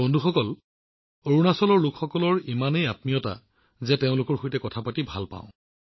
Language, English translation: Assamese, Friends, the people of Arunachal are so full of warmth that I enjoy talking to them